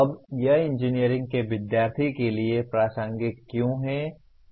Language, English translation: Hindi, Now why is it relevant to the engineering student